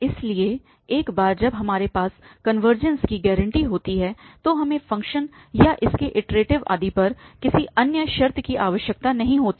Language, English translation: Hindi, So, once we have that the convergences guaranteed, we do not need any other condition on the function or its derivative, etc